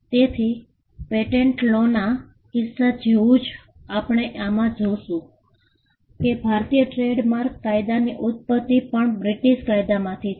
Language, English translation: Gujarati, So, we will see just as we had in the case of Patent Law, the origin of Indian Trademark Law is also from British Statutes